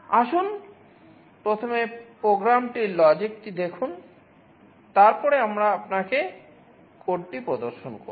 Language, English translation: Bengali, Let us look at the program logic first, then we shall be showing you the code